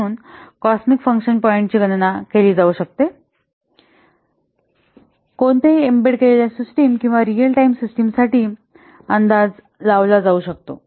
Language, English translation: Marathi, So in this way the cosmic function points can be calculated in this way the cosmic function points can be computed, can be estimated for any embedded system or real time system